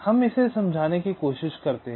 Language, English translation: Hindi, lets try to explain this